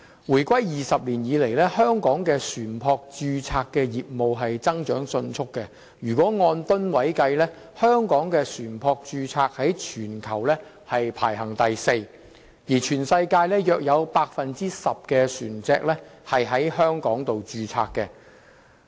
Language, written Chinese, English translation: Cantonese, 回歸20年以來，香港的船舶註冊業務增長迅速，按噸位計算，香港的船舶註冊在全球排名第四，全世界約有 10% 的船隻在香港註冊。, In the last two decades after the reunification the ship registration business in Hong Kong has experienced a rapid growth . The gross tonnage of ships registered in Hong Kong ranks fourth in the world . About 10 % of all vessels in the world are registered in Hong Kong